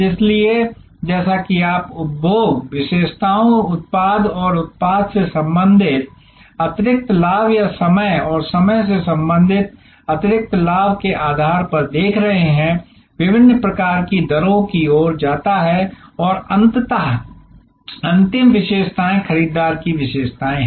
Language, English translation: Hindi, So, ultimately as you are seeing based on consumption characteristics product and product related additional benefits or time and time related additional benefits leads to different kinds of rates and ultimately the last characteristics is buyer characteristics